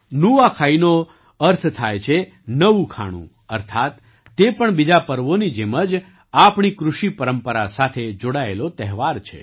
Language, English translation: Gujarati, Nuakhai simply means new food, that is, this too, like many other festivals, is a festival associated with our agricultural traditions